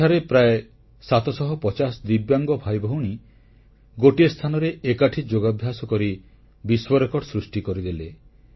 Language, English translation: Odia, Around 750 divyang brothers and sisters assembled at one place to do yoga and thus created a world record